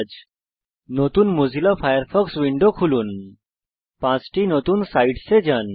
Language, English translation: Bengali, * Open a new Mozilla Firefox window, * Go to five new sites